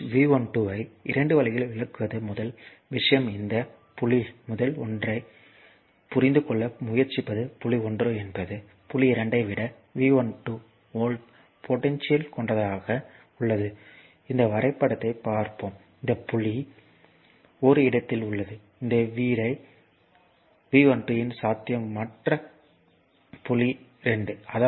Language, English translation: Tamil, So, the voltage V 12 to can be interpreted as your in 2 ways first thing is this point you try to understand first one is the point 1 is at a potential of V 12 volts higher than point 2, look at this diagram right, it this point is your at a potential of V 12 higher than this your what you call that other point 2